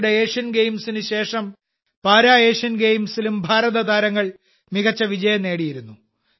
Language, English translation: Malayalam, Recently, after the Asian Games, Indian Players also achieved tremendous success in the Para Asian Games